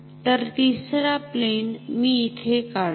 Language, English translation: Marathi, So, a third plane let me draw that here ok